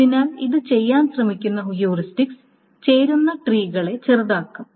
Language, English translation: Malayalam, So the heuristics that tries to do is to do certain joint trees